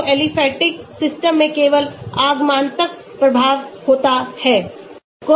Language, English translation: Hindi, So, in aliphatic systems there is only inductive effect